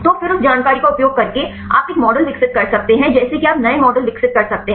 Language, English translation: Hindi, So, then using that information you can develop a model like that you can develop new models